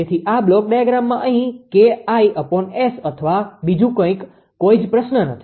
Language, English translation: Gujarati, So, no question of here in this block diagram Ki upon S or something, right